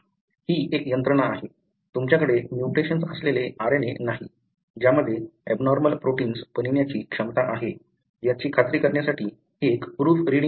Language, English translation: Marathi, So, this is a mechanism, a pretty much like a proof reading mechanism to make sure that you do not have RNA that have a mutation, which has the potential to make abnormal proteins